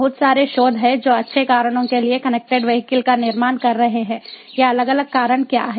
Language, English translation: Hindi, there is a lot of research that is going on on building connected vehicles, for good reasons